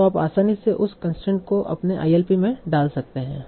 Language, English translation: Hindi, So you can easily put that constraint in your ILP